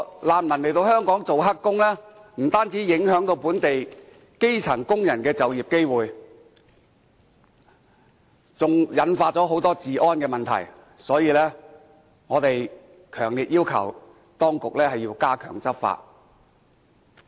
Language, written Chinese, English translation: Cantonese, 難民來香港做"黑工"，不單影響本地基層工人的就業機會，還引發很多治安問題，所以，我們強烈要求當局要加強執法。, Refugees taking up illegal employment in Hong Kong will not only affect the employment opportunities of local grass - roots workers but will also cause many law and order problems . Therefore we strongly request the authorities to step up law enforcement